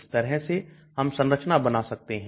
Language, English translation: Hindi, So like that we can draw structures